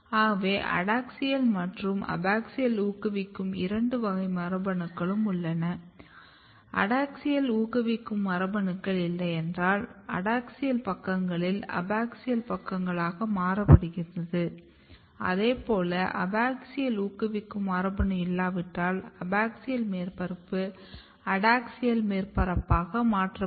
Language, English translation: Tamil, So, you have clear two category of genes the adaxial promoting genes and abaxial promoting genes if you do not have adaxial promoting genes adaxial sides get converted into abaxial sides, if you do not have a abaxial promoting gene abaxial surface get converted into adaxial surface